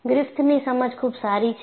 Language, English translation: Gujarati, The understanding of Griffith is good